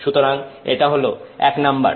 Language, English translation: Bengali, So, this is number one